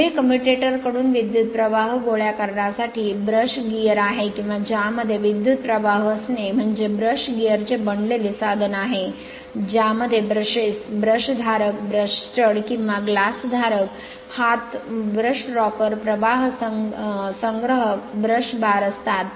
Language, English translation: Marathi, Next is brush gear to collect current from a rotating commutator your commutator, or to feed current to it use is a made of brush gear which consists of brushes, brush holders, brush studs, or glass holder arms, brush rocker, current collecting, brush bars right